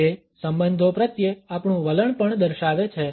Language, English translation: Gujarati, It also indicates our attitudes towards relationships